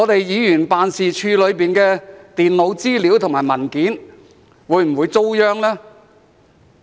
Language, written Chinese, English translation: Cantonese, 議員辦事處裏的電腦資料和文件會否遭殃呢？, Would the computer data and documents in the Members offices be destroyed?